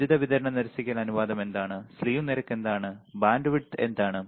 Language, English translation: Malayalam, What is power supply rejection ratio right, what is slew rate, what is bandwidth